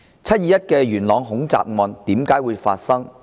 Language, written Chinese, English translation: Cantonese, "七二一"元朗恐襲案為何會發生呢？, What was the cause of the 21 July Yuen Long terrorist attack?